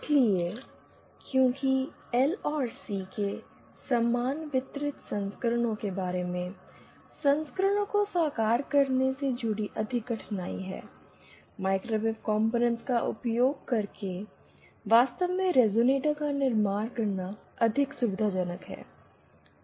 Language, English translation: Hindi, So, because of the more difficulty associated with realising equivalent versions of equivalent distributed versions of L and C, it is more convenient to actually build the resonator using microwave components